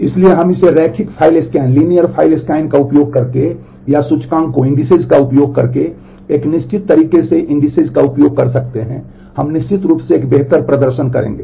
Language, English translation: Hindi, So, we can implement this using a linear file scan or by using indices in a certain way using indices we will certainly have a better performance